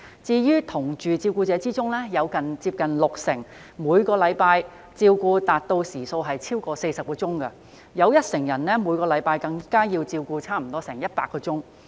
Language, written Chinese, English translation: Cantonese, 在"同住照顧者"中，有近六成人每周照顧時數超過40小時，有一成人每周照顧時數更高達100小時。, Among those live - in carers nearly 60 % provide care for over 40 hours per week and 10 % even provide care for as long as 100 hours per week